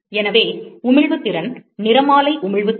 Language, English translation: Tamil, So, the emissive power of, the spectral emissive power